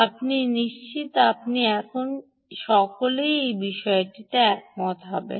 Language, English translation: Bengali, i am sure you will all agree to this point